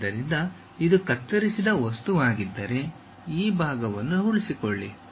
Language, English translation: Kannada, So, if this is the cut plane thing, retain this part